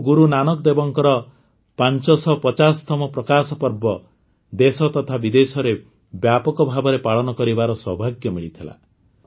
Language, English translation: Odia, We had the privilege of celebrating the 550th Prakash Parv of Guru Nanak DevJi on a large scale in the country and abroad